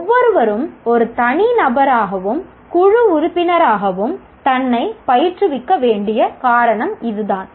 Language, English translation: Tamil, That is the reason why everyone should train himself or herself both as an individual and as a team member